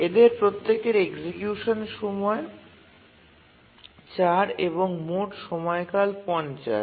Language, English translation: Bengali, Each one, execution time 25 and period is 50